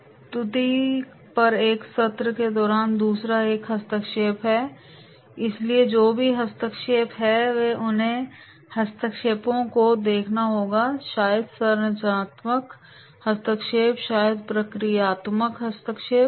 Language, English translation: Hindi, Second one is intervention during a session on the presentation, so whatever the interventions are there, then those interventions they have to see, maybe the structural intervention, maybe the procedural intervention